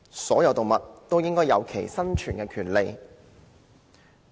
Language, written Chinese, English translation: Cantonese, 所有動物均應享有生存的權利。, All animals should be entitled to the right to survive